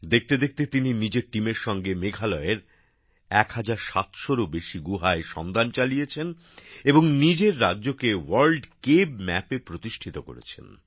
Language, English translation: Bengali, Within no time, he along with his team discovered more than 1700 caves in Meghalaya and put the state on the World Cave Map